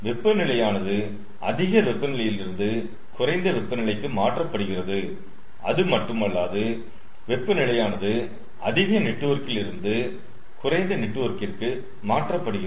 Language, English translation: Tamil, so heat is getting transferred from high temperature to low temperature, and not only that, it is getting transferred from a higher sub network to a lower sub network